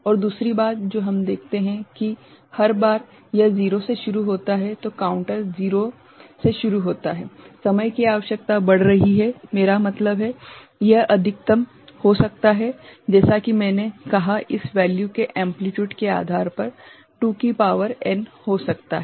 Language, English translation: Hindi, And also the other thing that we see that every time it starts from 0, counter starts from 0 ok the requirement of the time is getting increased I mean, a maximum could be as I said 2 to the power n depending on the magnitude of amplitude of this value, right